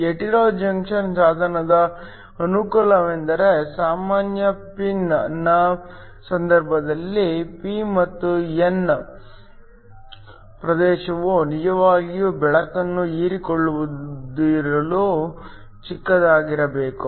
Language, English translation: Kannada, The advantage of the hetero junction device is that, in the case of a regular pin the p and the n region should be really short in order to not to absorb the light